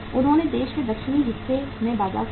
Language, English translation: Hindi, They lost the market in the southern part of the country